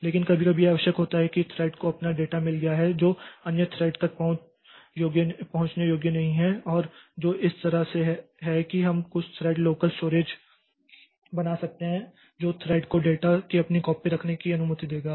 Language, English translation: Hindi, But sometimes it is necessary that thread has got its own data which is not accessible to other threads and which is so that way we can create some thread local storage that will allow the thread to have its own copy of data